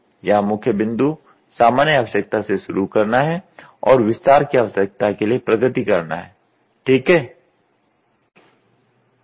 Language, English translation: Hindi, The main point here is to start with general need and progress towards detail need, ok